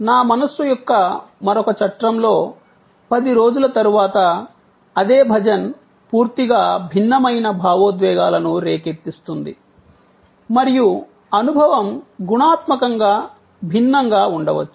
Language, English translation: Telugu, In another frame of my mind, 10 days later, it may evoke a complete different set of emotions and the experience may be qualitatively different